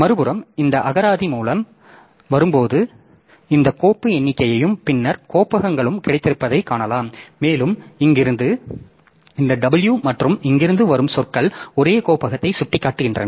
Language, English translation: Tamil, On the other hand, so this one when you are coming by this dictionary so you find that you have got this file count and the directories and also this w from here and the words from here they point to the same directory